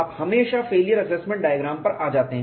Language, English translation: Hindi, We have also looked at failure assessment diagram